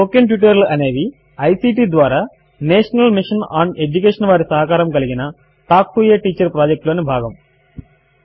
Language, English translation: Telugu, This brings us to the end of this spoken tutorial.Spoken Tutorials are a part of the Talk to a Teacher project, supported by the National Mission on Education through ICT